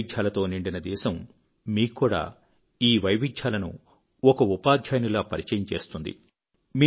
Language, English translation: Telugu, Our country is full of diversity and this wide range of diversity will also inculcate variations within you as a teacher